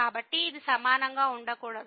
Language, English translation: Telugu, So, this cannot be equal